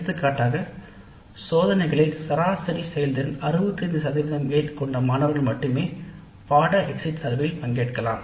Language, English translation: Tamil, Only those students whose average performance in the test is more than, let us say 65% can participate in the course exit survey